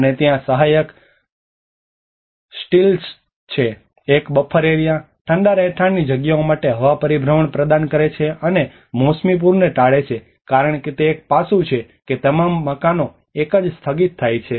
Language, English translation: Gujarati, And there is a supporting stilts, a buffer area, provide air circulation to cool living spaces and avoid seasonal flooding because that is one aspect all the houses are raised in a stilt